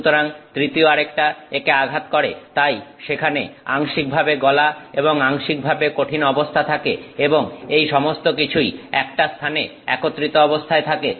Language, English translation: Bengali, So, the third one hits it so, there is it is partially molten, partially solid and it is all coming together in one place